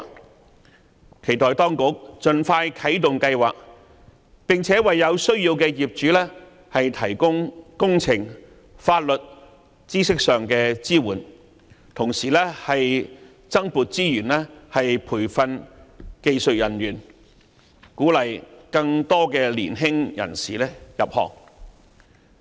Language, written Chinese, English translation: Cantonese, 我期待當局盡快啟動該計劃，並且為有需要的業主提供工程及法律知識上的支援，同時增撥資源培訓技術人員，鼓勵更多年輕人士入行。, I hope the authorities can expeditiously activate the scheme and provide engineering and legal knowledge support to property owners in need while also allocating additional resources for the purpose of training up skilled workers and encouraging more young people to join this trade